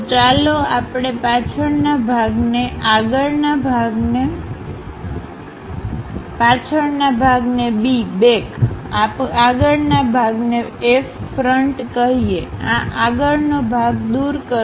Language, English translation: Gujarati, So, let us call back side part B, front side part F; remove this front side part